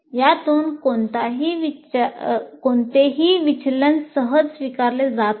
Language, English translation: Marathi, So any deviation from this is not easily acceptable